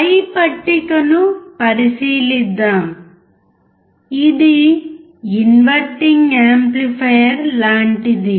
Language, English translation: Telugu, Let us consider the above table: it is like that of inverting amplifier